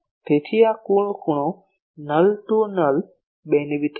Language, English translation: Gujarati, So, this total angle is a null to null beamwidth